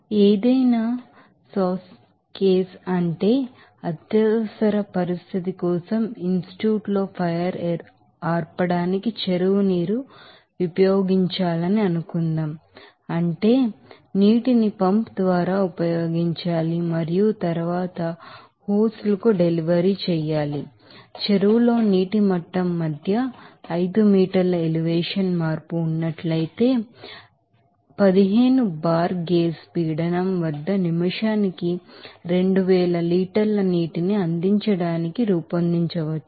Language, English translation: Telugu, Let us do another example here like suppose, a pond water is supposed to use for fire extinguishment in an you know Institute for an emergency if any sauce case, that is the water is to be used by a pump and then delivered to hoses it may be designed to deliver 2000 liter of water per minute at a pressure of 15 bar gauge if there is a 5 meter elevation change between the water level in the pond and the discharge of the pump that case no change in the diameter of the pipes and hoses